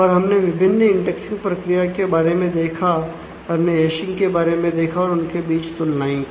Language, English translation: Hindi, And we have looked at various different indexing schemes, we have looked at hashing and made comparisons